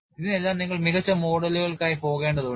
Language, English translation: Malayalam, For all these, you need to go for better models